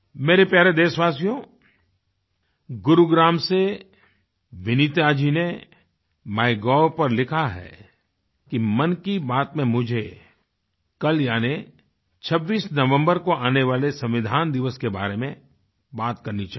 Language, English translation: Hindi, My dear countrymen, Vineeta ji from Gurugram has posted on MyGov that in Mann Ki Baat I should talk about the "Constitution Day" which falls on the26th November